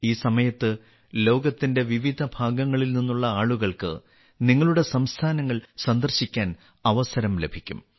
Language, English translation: Malayalam, During this period, people from different parts of the world will get a chance to visit your states